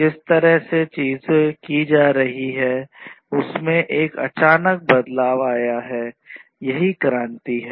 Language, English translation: Hindi, An abrupt change in the way things are being done, so that is the revolution